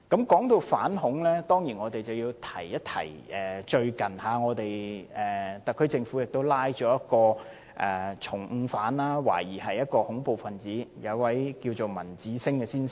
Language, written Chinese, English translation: Cantonese, 說到反恐，我當然要說一說最近特區政府拘捕了一名重犯，懷疑是恐怖分子，就是文子星先生。, Speaking of anti - terrorism work I certainly have to mention the HKSAR Governments recent apprehension of Mr Ramanjit SINGH an offender of serious crimes and a suspected terrorist